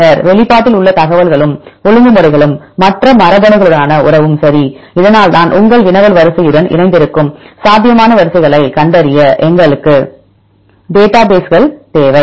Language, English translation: Tamil, Then the information and regulation in the expression as well as the relationship with other genes right; that this is why we need the databases right to find the probable sequences which are aligned with your query sequence